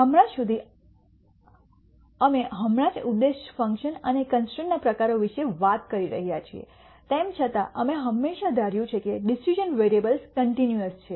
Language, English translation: Gujarati, Till now, we have just been talking about the types of objective functions and constraints however, we have always assumed that the decision variables are continuous